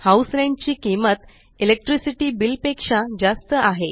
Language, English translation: Marathi, The cost of House Rent is more than that of Electricity Bill